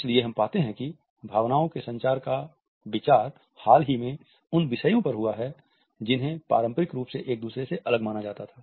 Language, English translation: Hindi, So, we find that the idea of emotion communication has recently expended to those disciplines which were traditionally considered to be distinct from each other